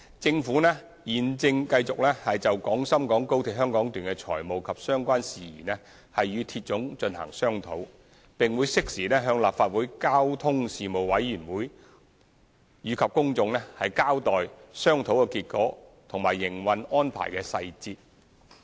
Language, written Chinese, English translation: Cantonese, 政府現正繼續就廣深港高鐵香港段的財務及相關事宜與鐵總進行商討，並會適時向立法會交通事務委員會及公眾交代商討結果和營運安排的細節。, The Government is in discussion with CR on the financial and related matters of the Hong Kong Section of XRL and will inform the Panel on Transport of the Legislative Council and the public of the outcomes of the discussion and details of operating arrangements at the appropriate time